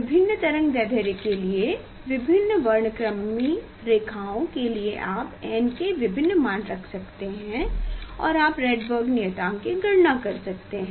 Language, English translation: Hindi, for different spectral lines for different wavelength you can putting the different value of n you can calculate this R H Rydberg constant